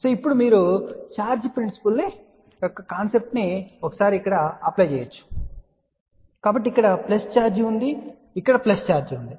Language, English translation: Telugu, So, now you can apply its concept of the charge theory, so if there is a plus charge here plus charge here